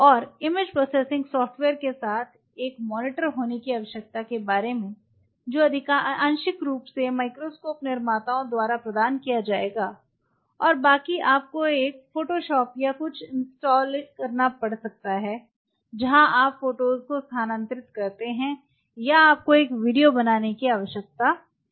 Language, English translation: Hindi, And the need for having a monitor along with image processing software’s, which partly will be provided by the microscope makers and rest you may have to have a photoshop or something installed in it where you transfer the images or you found to make a video what all facilities you have ok